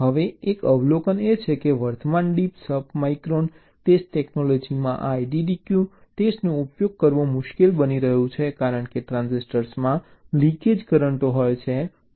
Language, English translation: Gujarati, ok, now one observation is that in the present date deep sub micron test technology, this iddq testing ah is becoming difficult to use because the transistor leakage currents